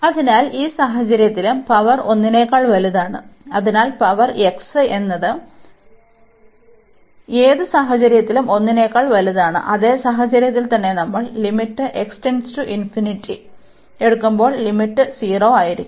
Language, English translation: Malayalam, So, in this case also we have this power greater than 1, so this power x here is greater than 1 in any case, and the same scenario will happen that when we take the limit x approaches to infinity, the limit will be 0